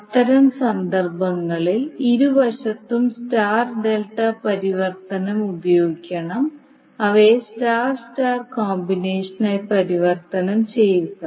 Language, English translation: Malayalam, So what you have to do in that case, you have to use star delta transformation on both sides, convert them into star star combination